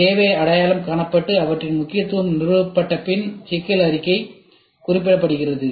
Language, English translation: Tamil, After the need are identified and their importance established, the problem statement is specified